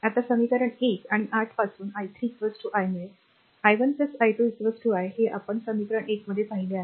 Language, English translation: Marathi, Now from equation 1 and 8 just you will get i 3 is equal to i, because i 1 plus i 2 is equal to actually i we have seen before just check equation 1